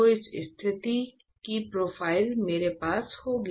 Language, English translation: Hindi, So, this is the kind of profile I will have, right